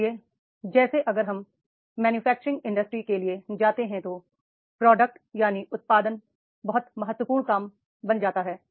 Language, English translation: Hindi, So like if we go for the manufacturing industry, the production that becomes very very important job